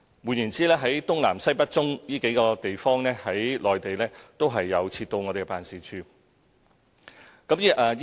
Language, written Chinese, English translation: Cantonese, 換言之，在內地的東南西北中的地方，也設有我們的辦事處。, In other words there are our units in the Eastern Southern Western Northern and Central regions on the Mainland